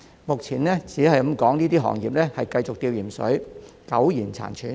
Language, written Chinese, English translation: Cantonese, 目前，這些行業可說是繼續在"吊鹽水"，苟延殘喘。, At present these trades are on saline drip and can barely survive